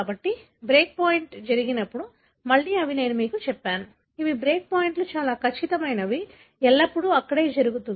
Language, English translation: Telugu, So, when the break point takes place, again I told you that these are, the break points are very precise; always it happens over there